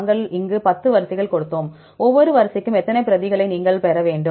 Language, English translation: Tamil, We gave here 10 sequences, how many replicates you need to get for each sequence